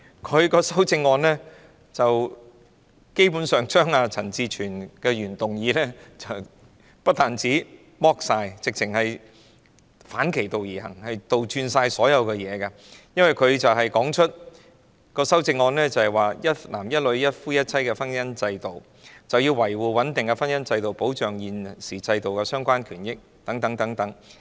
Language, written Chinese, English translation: Cantonese, 她的修正案基本上將陳志全議員的原議案不但徹底刪改，簡直是反其道而行，將一切倒轉，因為她的修正案是尊重一男一女、一夫一妻的婚姻制度，要維護穩定的婚姻制度及保障現行制度下的相關權益等。, Her amendment has not just thoroughly modified Mr CHAN Chi - chuens original motion but literally taken the opposite tack and reversed everything because it respects the marriage institution based on one man and one woman and one husband and one wife and seeks to uphold the stability of the marriage institution and protect the relevant rights and interests under the existing institution among others